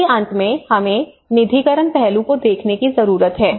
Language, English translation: Hindi, At the end of the day, we need to look at the funding aspect